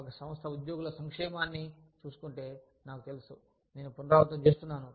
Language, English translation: Telugu, If an organization, looks after the welfare of the employees, i know, i am repeating myself